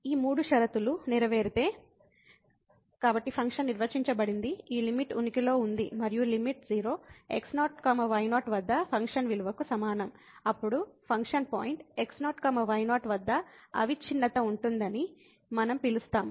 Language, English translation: Telugu, If all these three conditions are met; so function is defined this limit exists and the limit is equal to the function value at 0 , then we call that the function is continuous at the point